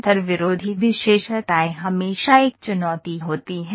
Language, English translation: Hindi, Intersecting features are always a challenge, always a challenge